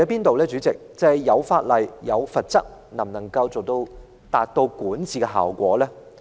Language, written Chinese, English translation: Cantonese, 代理主席，問題是法例和罰則能否發揮管治效果呢？, Deputy President the question is whether legislation and penalties can contribute to effective governance